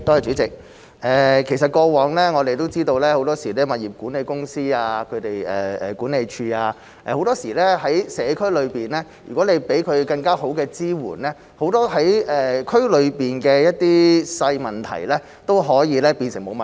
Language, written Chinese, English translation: Cantonese, 主席，其實過往我們都知道，很多時如果向社區內的物業管理公司、管理處提供更好的支援，很多區內的小問題都可以變成沒有問題。, President we actually know that if we provide better support to the property management companies and management offices in the community many minor problems in the district can be turned into no problems at all